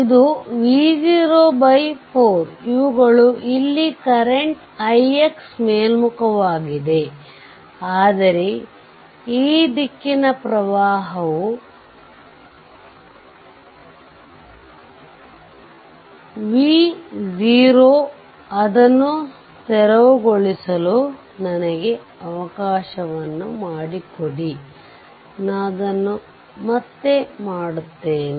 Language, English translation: Kannada, It is V 0 by 4 these are current right here, this i i x is upward is ok, but this direction current is V your V 0 V let me clear it, I make it again